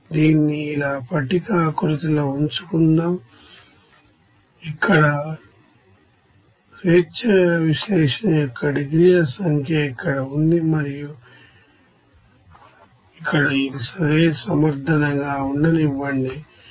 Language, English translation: Telugu, Let us have this in tabular format like this, it is here number of degrees of freedom analysis here number and here let it be ok justification like this